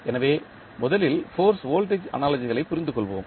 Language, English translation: Tamil, So, let us first understand the force voltage analogy